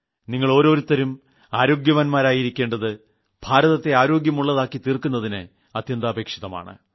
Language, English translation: Malayalam, Your staying healthy is very important to make India healthy